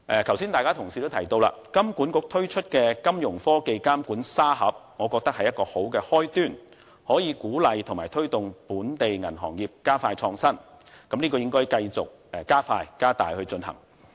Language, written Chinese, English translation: Cantonese, 剛才很多同事都提到金管局推出的金融科技監管沙盒，我認為這是好的開端，能夠鼓勵及推動本地銀行業加快創新，這應該繼續加快進行。, Just now many colleagues have mentioned Hong Kong Monetary Authoritys Fintech Supervisory Sandbox I think it is a good start . This initiative can encourage and induce local banks to speed up their innovations so it should speeded up